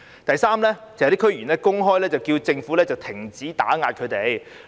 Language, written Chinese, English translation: Cantonese, 第三，有些區議員公開叫政府停止打壓他們。, Thirdly some DC members have publicly urged the Government to stop suppressing them